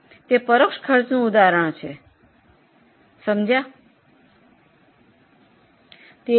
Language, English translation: Gujarati, So, it is an example of indirect costs